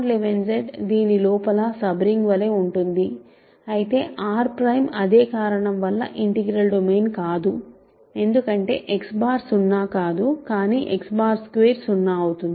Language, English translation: Telugu, Z mod 11 Z sits inside this as a sub ring, but R prime is not an integral domain for the same reason right because, X bar is non zero, but X bar squared is 0 ok